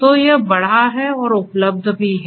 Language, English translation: Hindi, So, it has increased and is also available